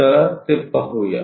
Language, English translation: Marathi, Let us look at that